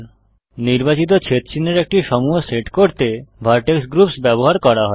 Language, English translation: Bengali, Vertex groups are used to group a set of selected vertices